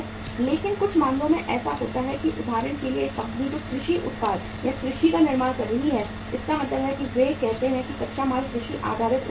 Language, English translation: Hindi, But in certain cases what happens that say for example a company which is manufacturing the agricultural product or agriculture means they are say uh raw material is agriculture based products